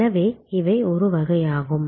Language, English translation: Tamil, So, these are kind of